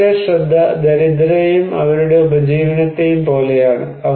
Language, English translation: Malayalam, Their focus is like one poor people and their livelihood